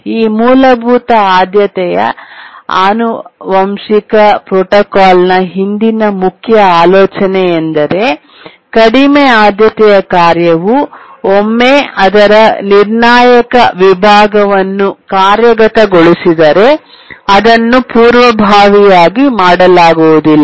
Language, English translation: Kannada, The main idea behind the basic priority inheritance protocol is that once a lower priority task is executing its critical section, it cannot be preempted